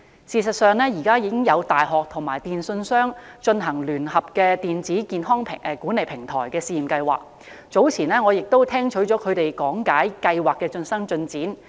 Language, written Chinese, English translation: Cantonese, 事實上，現時已有大學和電訊商正聯合推行電子健康管理平台的試驗計劃，早前我亦曾聽取他們講解計劃的最新進展。, At present a certain university is already cooperating with a telecommunications company to launch a pilot project on establishing an electronic health management platform . I have listened to their briefing on the latest progress of the project